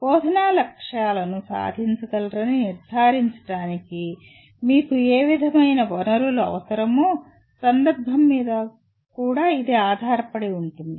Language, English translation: Telugu, It will also depend on the context what kind of resources that you have that are required to ensure that the instructional objectives can be attained